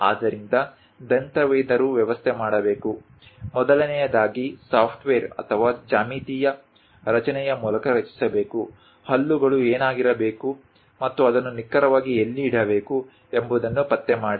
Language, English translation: Kannada, So, a dentist has to arrange, first of all, construct either through software or geometric construction; locate what should be the teeth and where exactly it has to be located